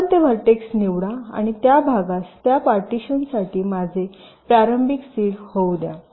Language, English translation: Marathi, ok, you select that vertex and let that vertex be my initial seed for that partition